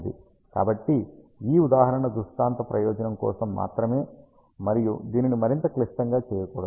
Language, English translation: Telugu, So, in this example for the illustration purpose and not to make it more complicated